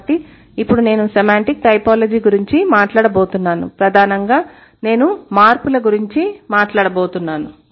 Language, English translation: Telugu, Since I'm going to talk about semantic typology, primarily I'm going to talk about the changes